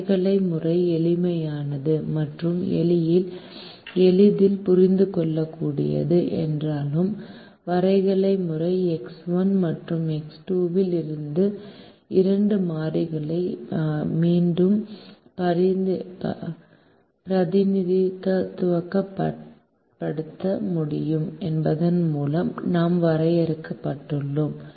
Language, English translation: Tamil, while the graphical method is simple and easily understandable, we are limited by the fact that we can only represent two variables in the graphical method: the x one and x two